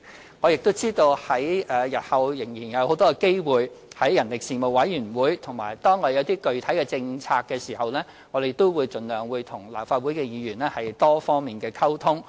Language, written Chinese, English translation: Cantonese, 此外，我知道日後我們仍然有很多機會，可在人力事務委員會回應，而當我們提出一些具體政策時，我們也會盡量與立法會議員作多方面溝通。, Besides I understand that we will still have plenty of opportunities to make a response in the Panel on Manpower in future and when we put forward specific policies we will also communicate with Members of the Legislative Council in various respects by all means